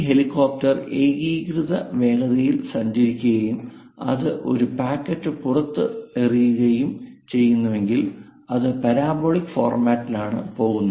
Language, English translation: Malayalam, With uniform velocity, if this helicopter is moving; if it releases a packet, it comes in parabolic format, and finally this is the origin